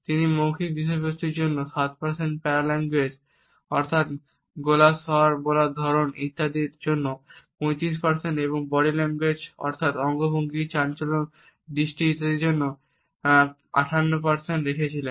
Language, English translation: Bengali, He had put verbal content at 7% paralanguage that is tone of the voice intonations inflections etcetera, at 35% and body language that is gestures postures eye contact etcetera at 58%